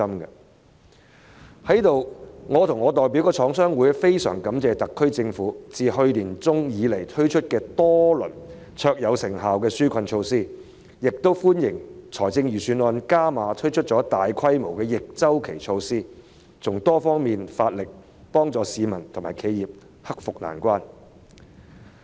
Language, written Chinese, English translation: Cantonese, 在此，我與我代表的香港中華廠商聯合會非常感謝特區政府自去年年中推出多輪卓有成效的紓困措施，亦歡迎預算案加碼推出大規模的逆周期措施，從多方面着手，幫助市民和企業克服困難。, I and the Chinese Manufacturers Association of Hong Kong which I represent would like to extend our gratitude to the SAR Government for introducing various rounds of highly effective relief measures since the middle of last year and we also welcome the further introduction in the Budget of a massive package of counter - cyclical measures to assist members of the public and enterprises in overcoming difficulties on various fronts